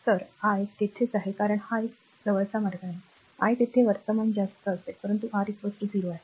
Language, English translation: Marathi, So, I will be there because it is a close path, i will be there current will be high, but R is equal to 0